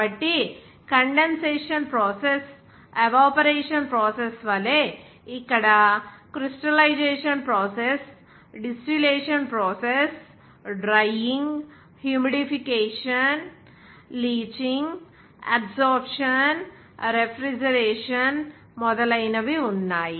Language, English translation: Telugu, So like the condensation process evaporation process, here crystallization process, even distillation process, even drying, humidification, leaching, even absorption, refrigeration etc